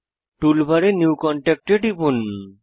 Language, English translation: Bengali, In the toolbar, click New Contact